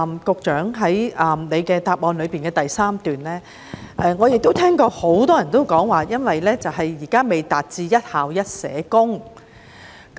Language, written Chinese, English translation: Cantonese, 局長在主體答覆第三部分提到——我亦聽到很多人這樣說——問題源於現時仍未做到"一校一社工"。, The Secretary has remarked in part 3 of the main reply that―I also heard many others saying the same thing―the root cause is the current failure to achieve one SSW for each school